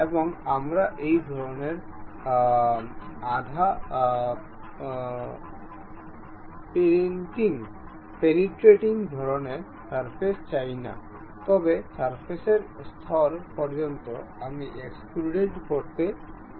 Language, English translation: Bengali, And we do not want this kind of semi penetrating kind of surfaces; but up to the surface level I would like to have extrude